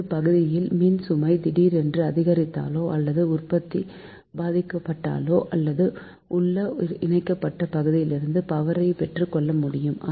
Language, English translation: Tamil, now, if there is a sudden increase in load or loss of generation in one area, it is possible to borrow power from adjoining interconnected area